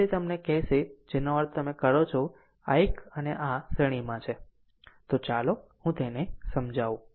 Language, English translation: Gujarati, So, that will give you your what you call that means, this one and this one are in series; so, let me clear it